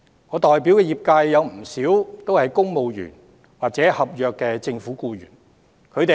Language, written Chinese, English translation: Cantonese, 我代表的業界有不少公務員或政府合約僱員。, There are many civil servants or government contract employees in the sector that I represent